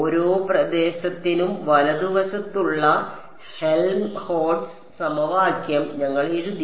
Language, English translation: Malayalam, We wrote down the Helmholtz equation for each region right